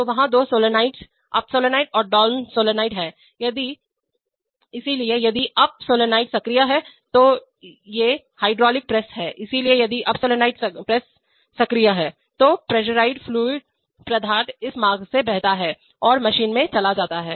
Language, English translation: Hindi, So there are two solenoids, up solenoid and down solenoid, so if the up solenoid is energized, these are hydraulic presses, so if the up solenoid press is energized then the pressurized fluid flows through this path and goes into the machine